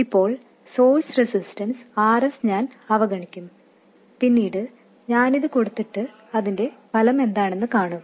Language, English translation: Malayalam, For now I will ignore the source resistance RS, later I will put it in and see what the effect is